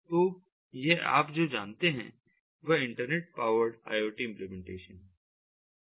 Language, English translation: Hindi, so it is all you know, internet powered iot implementations